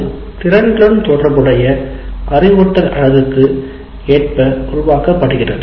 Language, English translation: Tamil, It is as per the instructional units associated with competencies